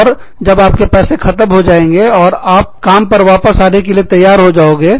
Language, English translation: Hindi, And, when you run out of money, and you are ready, to come back to work